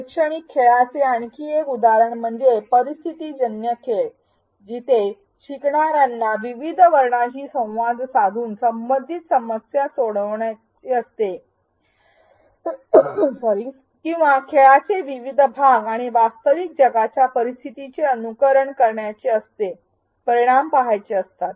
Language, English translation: Marathi, Another example of an educational game is situational games, where learners have to solve a relevant problem by interacting with various characters or various parts of the game and simulate real world scenarios and see the results